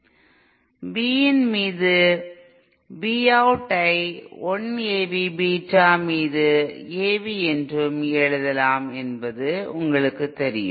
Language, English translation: Tamil, You know that V out over V in can also be written as A V upon 1 AV Beta